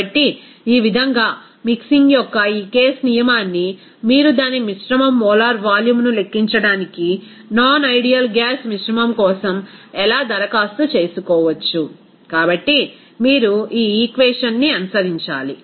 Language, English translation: Telugu, So, in this way, how this case rule of mixing you can apply for that mixture of non ideal gas to calculate its mixture molar volume, so you have to follow this equation